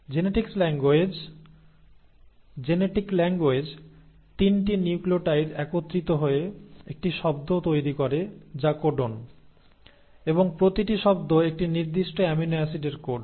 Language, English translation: Bengali, So the genetic languages, the 3 nucleotides come together to form one word which is the codon and each word codes for a specific amino acid